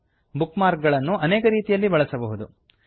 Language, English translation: Kannada, You can access bookmarks in many ways